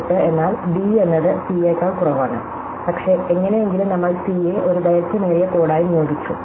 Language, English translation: Malayalam, 18 means d is less frequency than c, but somehow we assigned c to be a longer code